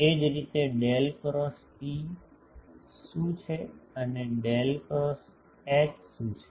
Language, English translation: Gujarati, Similarly, what is Del cross E, and what is Del cross H